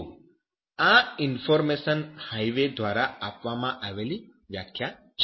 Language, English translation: Gujarati, So this is the definition given by information Highway